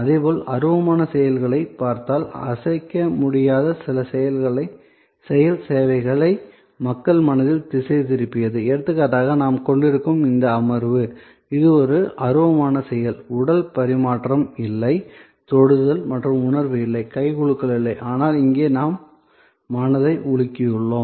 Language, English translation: Tamil, Similarly, if you look at intangible actions, intangible action services directed at the mind of people that is like for example, this session that we are having, it is an intangible action, there is no physical exchange, there is no touch and feel, there is no hand shake, but yet we have a mind shake here